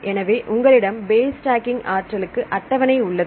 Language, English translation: Tamil, Now if you want to have the base stacking energy